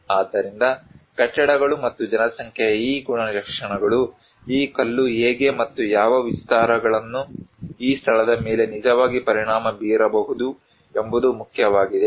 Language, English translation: Kannada, So, these characteristics of the buildings and population, they do matter, that how and what extents this stone can actually affect this place